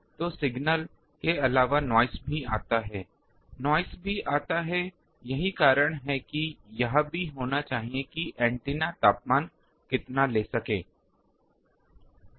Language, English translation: Hindi, So, noise also comes apart from signal, noise also comes, that is why it also should have that how much it can take this antenna temperature